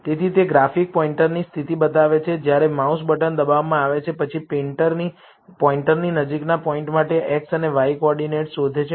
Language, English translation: Gujarati, So, it treats the position of the graphic pointer, when the mouse button is pressed it, then searches the coordinates given an x and y for the point closest to the pointer